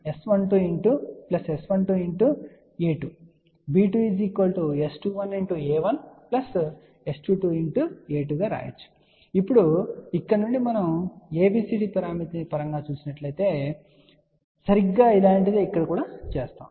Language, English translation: Telugu, So, now, from here just as we did in terms of ABCD parameter will just exactly the similar thing